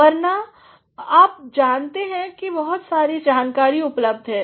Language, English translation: Hindi, Otherwise, you know there is a vast amount of knowledge available